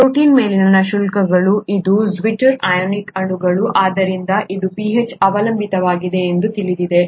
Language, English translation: Kannada, You know that the charges on the protein, this is a zwitter ionic molecule, therefore it is pH dependent and so on